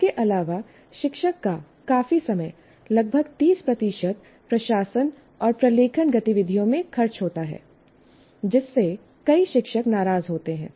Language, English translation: Hindi, And besides this, considerable amount of the teachers time, about 30% is spent in administration and documentation activity, which many teachers resent